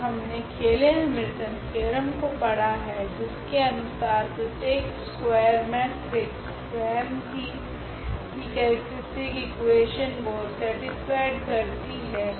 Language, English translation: Hindi, And, we have also studied this Cayley Hamilton theorem which says that every square matrix satisfy its own characteristic equation